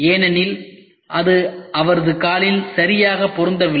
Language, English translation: Tamil, Because it did not fix it properly to his foot